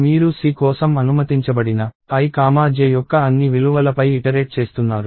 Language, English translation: Telugu, And you are iterating over all the values of i comma j that are permissible for C